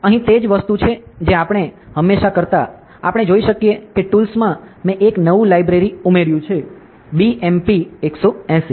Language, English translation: Gujarati, So, here it is a same thing we always used to do ok, we can see that in the tools I have added a new library ok, BMP 180 ok